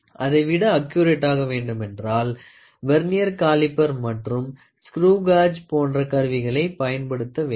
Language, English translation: Tamil, If you want to go less than that then we have to use instruments like Vernier caliper and screw gauges